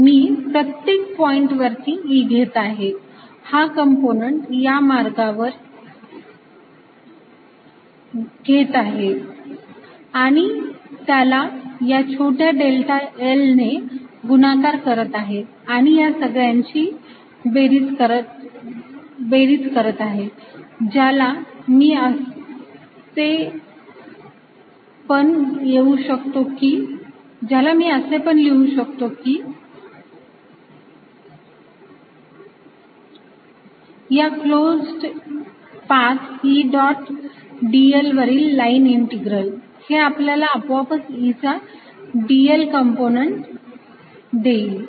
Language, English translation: Marathi, i am taking e at each point, taking this component along the path and multiplying by the small delta l and summing it all around, ok, which i can also write as what is called a line integral over a closed path